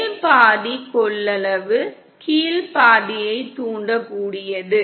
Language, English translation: Tamil, Top half is capacitive, bottom half is inductive